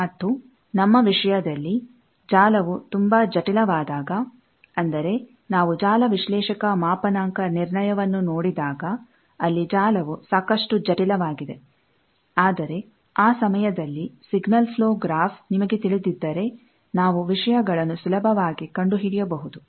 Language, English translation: Kannada, And, in our case, we will see that, when a network gets very much complicated, like, we will see the network analyzers’ calibration procedure, there, the network is quite complicated; but that time, if you know signal flow graph, we can very easily find out the things